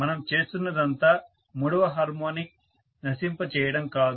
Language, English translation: Telugu, All we are doing is not to kill the third harmonic, do not kill it